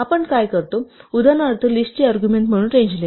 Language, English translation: Marathi, What we do, for example, is give the range as an argument of list